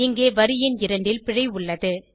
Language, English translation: Tamil, Here the error is in line number 2